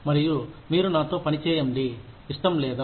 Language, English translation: Telugu, And, if you do not want to work with me